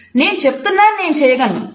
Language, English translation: Telugu, I am telling you, I can do it